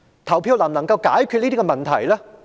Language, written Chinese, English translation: Cantonese, 投票能否解決這些問題？, Can all these problems be solved by voting?